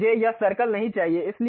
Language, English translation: Hindi, Now, I do not want this circle